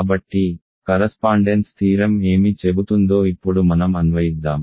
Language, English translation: Telugu, So, let us now apply what the correspondence theorem says